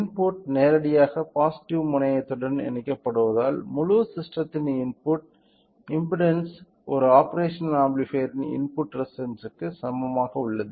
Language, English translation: Tamil, However, since the input is directly connecting to the positive terminal the input impedance of the complete system is equal to the input impedance of an operational amplifier which is very very high